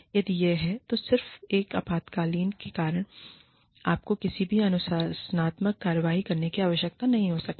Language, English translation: Hindi, If it is, just because of an exigency, you may not need, to take any disciplinary action